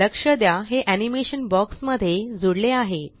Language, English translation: Marathi, Notice, that this animation has been added to the box